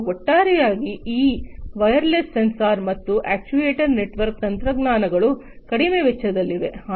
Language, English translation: Kannada, And overall this wireless sensor and actuator network technologies are low cost right